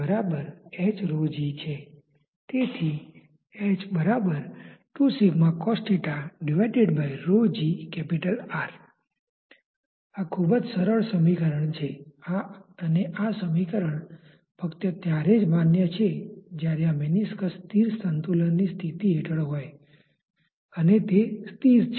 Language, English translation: Gujarati, This expression is very simple, and this expression is valid only if this meniscus is under a static equilibrium condition it is not moving